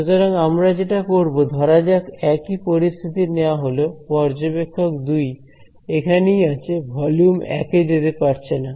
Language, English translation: Bengali, So, what we do is, let us take the same situation over here observer 2 remains over here cannot walk into volume 1 this is V 2 and this is V 1